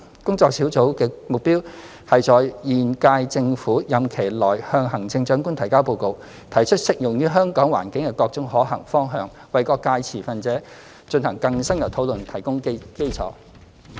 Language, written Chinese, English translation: Cantonese, 工作小組的目標是在現屆政府任期內向行政長官提交報告，提出適用於香港環境的各種可行方向，為各界持份者進行更深入討論提供基礎。, The working group aims to submit a report which will propose various feasible directions applicable to the situation of Hong Kong as the foundation of more in - depth discussion by stakeholders of all sectors to the Chief Executive within the current term of the Government